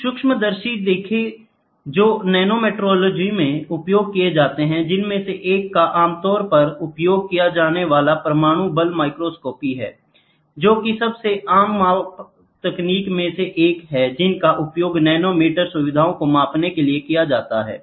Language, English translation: Hindi, See some of the microscopes which are used in nanometrology one very commonly used one is atomic force microscopy; is one of the most common measurement techniques which are used to measure nanometer features